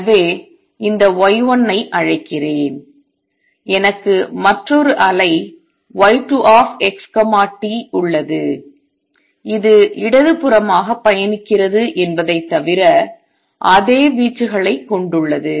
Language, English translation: Tamil, So, let me call this y 1, I have also have another wave y 2 x t which has exactly the same amplitude except that it travels to the left